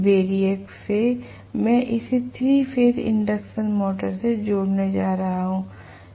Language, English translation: Hindi, From the variac I am going to connect it to the 3 phase induction motor